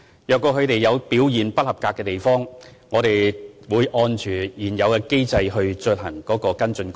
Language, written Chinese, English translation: Cantonese, 如果他們的表現不合格的地方，我們會按照現有機制進行跟進。, If they have adverse performance we will follow up in accordance with the existing mechanism